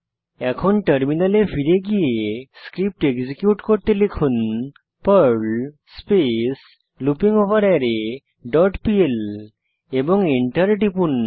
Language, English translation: Bengali, Then switch to the terminal and execute the script as perl loopingOverArray dot pl and press Enter